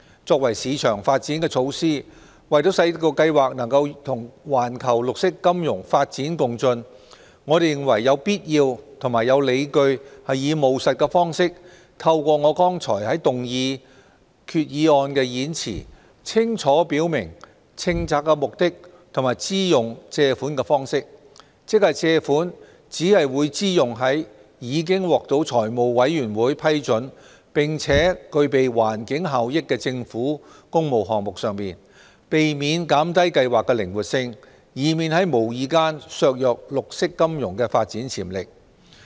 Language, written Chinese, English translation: Cantonese, 作為市場發展措施，為使計劃能與環球綠色金融發展共進，我們認為有必要及理據以務實的方式，透過我剛才在動議決議案的演辭，清楚表明政策目的，及支用借款的方式，即借款只會支用在已獲財務委員會批准並具備環境效益的政府工務項目上，避免減低計劃的靈活性，以免在無意間削弱綠色金融的發展潛力。, As a market development measure to ensure the programme can keep up with the growth of green finance internationally we consider it necessary and reasonable to clearly declare in a practical way the policy objectives and the use of borrowings with the speech I made in moving the resolution . In other words the borrowings will only be used in Public Works Programme projects which have been approved by the Finance Committee to avoid reducing the flexibility of the programme lest the development potentials of green finance be undermined inadvertently